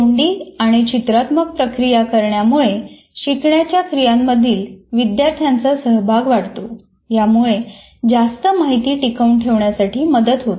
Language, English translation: Marathi, Verbal and visual processing allow students to become more involved in the learning process leading to increasing retention